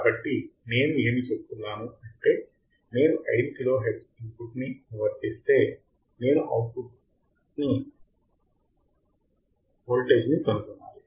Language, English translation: Telugu, So, it is saying that if I apply the input of 5 kilohertz, I had to find the output voltage